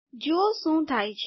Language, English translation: Gujarati, See what happens